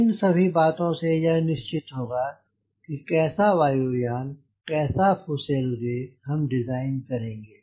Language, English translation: Hindi, so all this things will decide the type of aircraft fuselage you are going to design